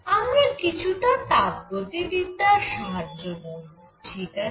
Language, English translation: Bengali, We use a little bit of thermodynamics, right